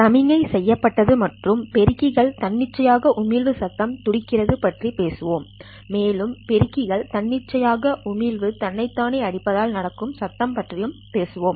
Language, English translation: Tamil, We will talk about the signal and the amplified spontaneous emission noise beating and we will also talk about the noise because of the amplified spontaneous emission beating with itself